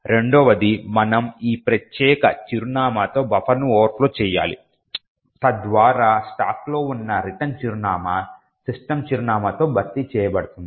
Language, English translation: Telugu, Second we need to overflow the buffer with this particular address so that the written address located on the stack is replaced by the address of system